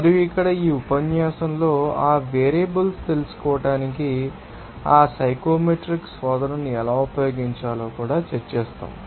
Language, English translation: Telugu, And here in this lecture, we will also discuss how to use that you know, psychometric search to find out those variables there